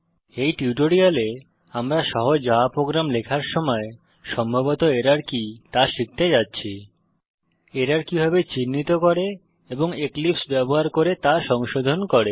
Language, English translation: Bengali, In this tutorial,we are going to learn what are the possible error while writing a simple Java Program, how to identify those errors and rectify them using eclipse